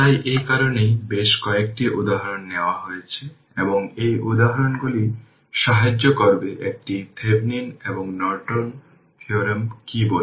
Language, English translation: Bengali, So, that is why several examples I have taken and this examples will help you a lot to understand this your, what you call this Thevenin’s and Norton theorem